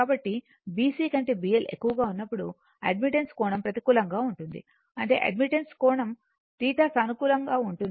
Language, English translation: Telugu, So, when B L greater than B C that angle of admittance is negative; that means, angle of admittance theta is positive